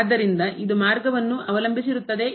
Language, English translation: Kannada, So, it depends on the path